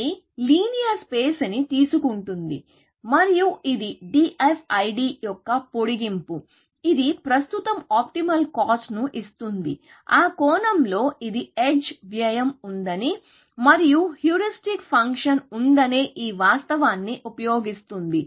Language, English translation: Telugu, So, it is nice in the sense, that it takes linear space, and it gives currently, optimal cost so, it is an extension of DFID, in that sense, which uses this fact that there are edge cost and there is heuristic function and things like that